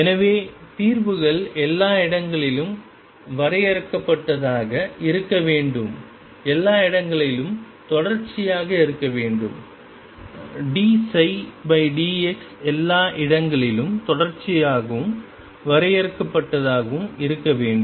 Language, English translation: Tamil, So, we are going to demand that the solutions be finite everywhere psi be continuous everywhere and d psi by d x be continuous and finite everywhere